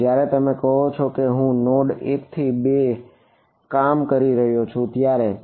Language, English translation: Gujarati, No when you are going from your saying I am working from node 1 to 2 ok